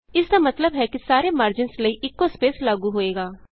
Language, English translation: Punjabi, This means that the same spacing is applied to all the margins